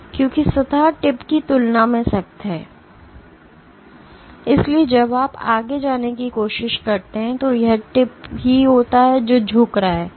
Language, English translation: Hindi, So, because the surface is stiffer than the tip, so when you try to go any further it is the tip itself which is getting bend